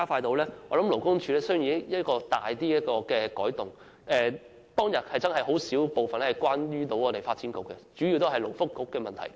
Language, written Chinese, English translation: Cantonese, 我認為勞工處需要作出一些轉變，因為小組委員會在會議上，對於發展局的討論不多，主要都是勞工及福利局的問題。, I think LD should make some changes . During the meeting the Subcommittee mainly focused its discussion on the problems with the Labour and Welfare Bureau and did not say much about the Development Bureau